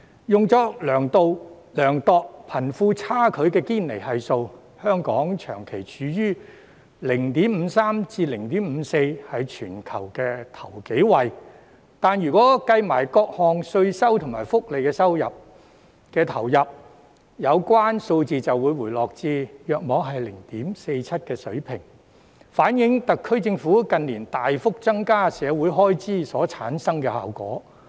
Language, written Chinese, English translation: Cantonese, 用作量度貧富差距的堅尼系數，香港長期處於 0.53 至 0.54 的水平，是全球首數位，但如果計算各項稅收及福利投入，有關數字便會回落至約 0.47 的水平，反映出特區政府近年大幅增加社會開支所產生的效果。, The Gini Coefficient a yardstick for measuring wealth disparity shows that Hong Kong has persistently remained at the level of 0.53 or 0.54 and occupied the top few positions worldwide . But if various taxation and welfare benefits are included in computation the rate will drop to the level of around 0.47 . This shows the positive effect of the substantial increase in the social expenditure committed by the SAR Government in recent years